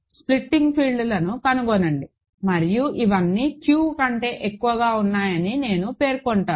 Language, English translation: Telugu, Find the splitting fields and I will specify all of these are over Q, ok